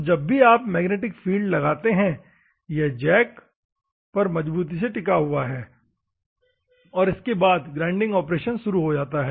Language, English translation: Hindi, So, whenever you apply the magnetic field, it is firmly held on to the jack, and then the grinding operation goes on